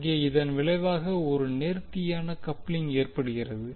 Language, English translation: Tamil, There by resulting in perfect coupling